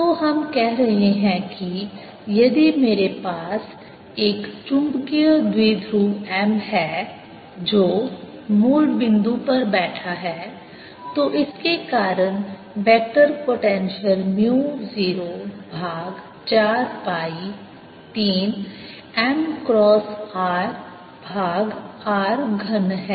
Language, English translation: Hindi, so we are saying that if i have a magnetic dipole m sitting at the origin, the vector potential due to this is mu zero over four pi m cross r over r cubed